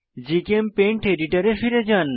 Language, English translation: Bengali, Come back to GChemPaint editor